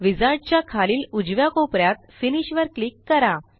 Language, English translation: Marathi, Click Finish at the bottom right corner of the wizard